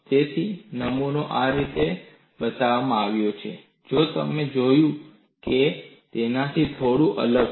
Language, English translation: Gujarati, So, the specimen is shown like this, slightly different from what we had seen